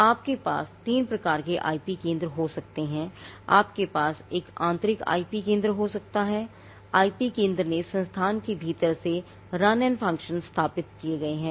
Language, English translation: Hindi, Now, you can have three types of IP centres you can have an internal IP centre the IP centre has established runs and functions from within the institute